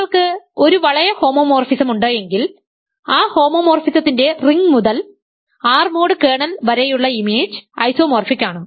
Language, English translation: Malayalam, If you have a ring homomorphism, the image is isomorphic as a ring to R mod kernel of that homomorphism